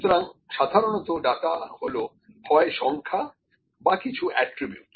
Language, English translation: Bengali, So, generally, data is it may be numbers or it may be some attributes, ok